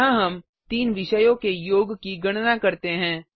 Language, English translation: Hindi, Here we calculate the total of three subjects